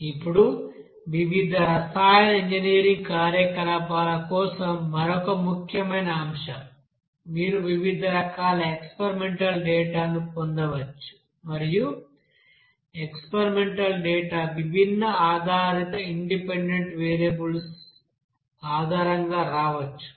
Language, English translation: Telugu, Now another important point that for different chemical engineering operation, you may get different forms of you know experimental data and you will see that that experimental data may come you know based on different you know dependent independent variables